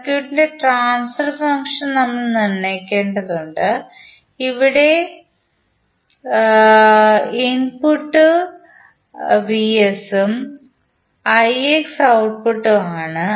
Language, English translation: Malayalam, We need to determine the transfer function of the circuit also here vs is the input and ix is the output